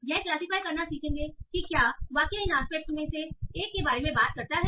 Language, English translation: Hindi, It will learn a classifier to classify whether the sentence talks about one of these aspects